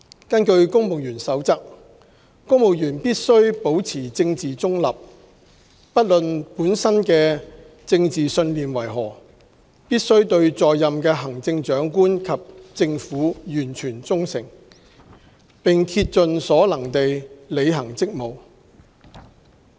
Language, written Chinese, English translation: Cantonese, 根據《公務員守則》，公務員必須保持政治中立，不論本身的政治信念為何，必須對在任的行政長官及政府完全忠誠，並竭盡所能地履行職務。, According to the Civil Service Code civil servants must maintain political neutrality . No matter what their own political beliefs are civil servants shall serve the Chief Executive and the Government of the day with total loyalty and to the best of their ability